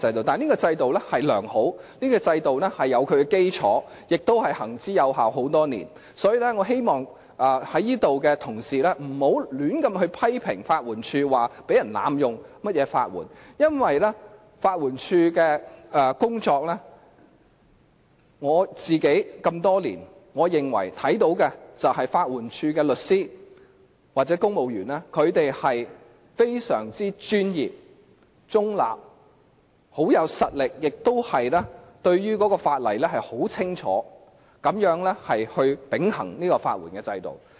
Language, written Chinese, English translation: Cantonese, 但是，這制度是良好、有基礎及多年來行之有效的；所以，我希望同事不要胡亂批評法援署，說有人濫用法援，因為就法援署的工作來說，我自己多年來看到的是，我認為法援署的律師或公務員均非常專業而中立地秉行法援制度，而且他們很有實力，對法例亦十分清楚。, That said this system is sound well - established and proven over the years . Therefore I hope that Honourable colleagues will not criticize LAD arbitrarily making allegations about abuse of the legal aid system because insofar as the work of LAD is concerned what I have seen over the years is that I think the lawyers or civil servants in LAD have upheld the legal aid system in a most professional and independent manner and they are of high calibre and well versed in the legislation